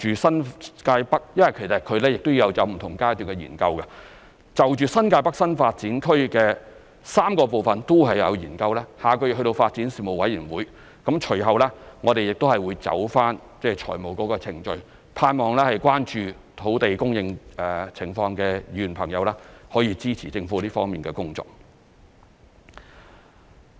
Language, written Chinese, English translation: Cantonese, 新界北發展有不同階段的研究，我們盼望就新界北發展的3個部分的研究，下個月諮詢發展事務委員會，隨後會走財務程序，盼望關注土地供應情況的議員可以支持政府這方面的工作。, The study on the NTN Development will comprise different stages . We wish to consult the Panel on Development next month on the study on the three parts of the NTN Development and the financial procedures will follow . I hope that Members who are concerned about the land supply situation will support the Governments work in this regard